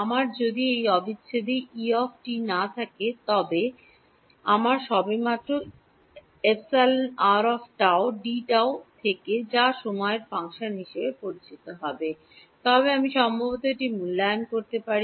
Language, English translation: Bengali, If I did not have E of t in this integral if I just had epsilon r of tau d tau which is known as a function of time then I can perhaps evaluate it